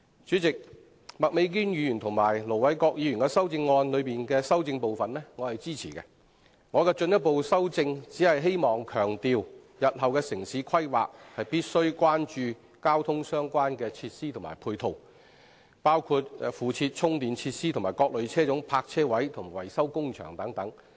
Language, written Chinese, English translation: Cantonese, 主席，我支持麥美娟議員和盧偉國議員的修正案，我的進一步修正是希望強調，日後的城市規劃必須關注交通配套設施，包括附設充電設施的各類車種泊車位，以及車輛維修工場等。, President I support the amendments moved by Ms Alice MAK and Ir Dr LO Wai - kwok respectively . My further amendment is intended to highlight the fact that any future town planning must give due regard to the provision of transport ancillary facilities including parking spaces for various types of vehicles complemented with charging facilities as well as vehicle maintenance workshops and so on